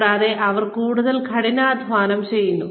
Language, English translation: Malayalam, And, they work extra hard